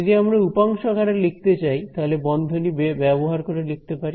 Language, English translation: Bengali, So, if I were to write this in the component form so, let us write in bracket form